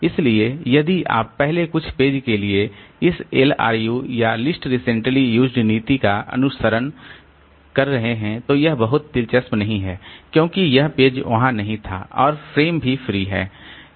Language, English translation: Hindi, So, if we are following this LRU or least recently used policy for the first few pages so there is nothing very interesting because this page was not there and frames are also free